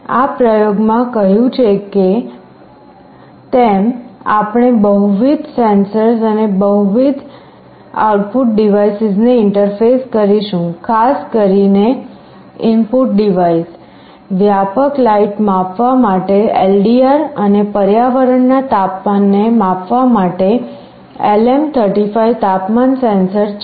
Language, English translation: Gujarati, In this experiment as it said we shall be interfacing multiple sensors and multiple output devices; specifically the input devices that we shall be looking at are LDR for sensing ambient light and a LM35 temperature sensor for sensing the temperature of the environment